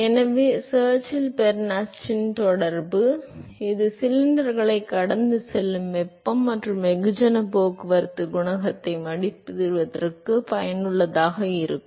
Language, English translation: Tamil, So, Churchill Bernstein correlation which a which is useful for estimating the heat and mass transport coefficient for flow past cylinders